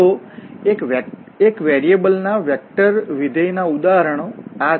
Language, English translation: Gujarati, So, vector functions of one variable, these are the examples